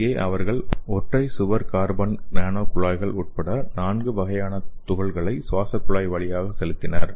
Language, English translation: Tamil, So here they used four kinds of particle including single wall carbon nano tubes by pressurized intratraqueal installation